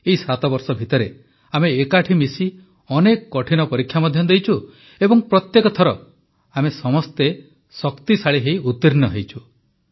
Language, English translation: Odia, In these 7 years together, we have overcome many difficult tests as well, and each time we have all emerged stronger